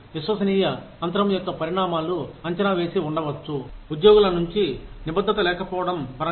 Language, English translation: Telugu, There could be a predictable consequences of trust gap, in terms of, lack of commitment from the employees